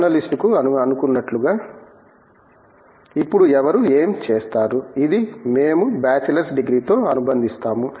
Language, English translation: Telugu, As supposed to journalist, who would what now, which is what we would associate with the bachelors degree